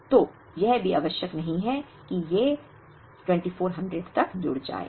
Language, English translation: Hindi, So, it is also not necessary that these should add up to the 2400